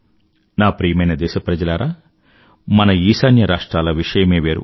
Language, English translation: Telugu, My dear countrymen, our NorthEast has a unique distinction of its own